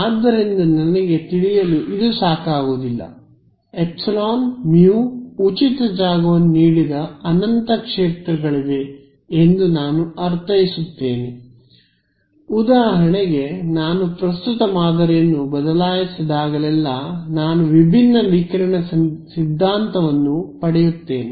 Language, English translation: Kannada, So, its not enough for me to just know epsilon, mu I mean there are infinite fields given free space for example, right every time I change the current pattern I get a different radiation theory